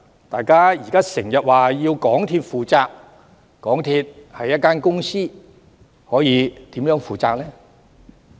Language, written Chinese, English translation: Cantonese, 大家現時經常也說要港鐵公司負責，但港鐵公司是一間公司，它可以如何負責呢？, Now we keep saying that MTRCL should take the responsibility . But MTRCL is a company . How can it do so?